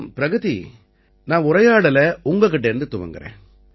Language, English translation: Tamil, Pragati, I am starting this conversation with you